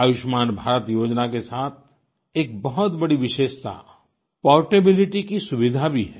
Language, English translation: Hindi, An important feature with the 'Ayushman Bharat' scheme is its portability facility